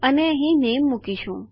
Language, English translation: Gujarati, And Ill put name in here